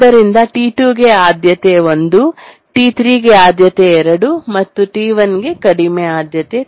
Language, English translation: Kannada, Prior 1 for T2, priority 2 for T3 and the lowest priority for T1